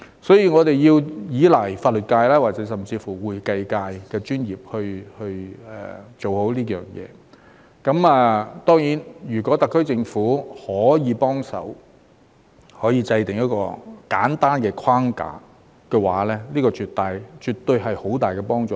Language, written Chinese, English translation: Cantonese, 所以，我們要依賴法律界甚至會計界的專業來做好這件事，當然如果特區政府可以幫忙制訂一個簡單框架，這絕對是有很大幫助。, Therefore we have to rely on the legal professionals and even the accounting professionals to carry out this task properly and of course it will be of great help if the SAR Government can help to formulate a simple framework